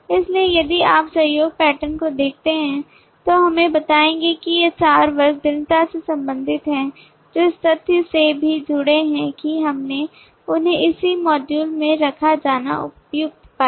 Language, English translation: Hindi, so if you look at the collaboration pattern will tell us that these four classes are strongly related that has also been collaborated by the fact that we found them suitable to be put in the same module